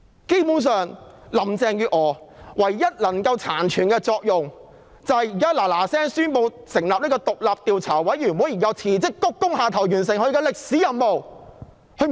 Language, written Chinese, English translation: Cantonese, 基本上，林鄭月娥殘存的唯一作用就是立即宣布成立獨立調查委員會，然後辭職鞠躬下台，完成她的歷史任務。, Basically the only remaining use of Carrie LAM is to announce the formation of an independent commission of inquiry immediately and then resign and bow out thereby fulfilling her historical mission